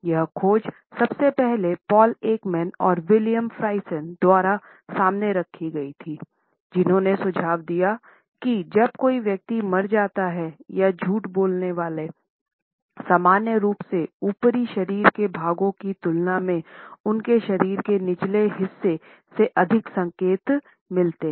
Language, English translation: Hindi, This finding was first of all put forward by Paul Ekman and William Friesen, who suggested that when a person dies, then it is normally revealed by the lower part of his body and the lower part of the liers body communicates more signals in comparison to the upper body portions